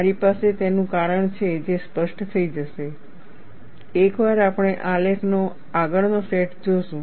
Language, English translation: Gujarati, I have a reason for it, which shall become clear, once we see the next set of graphs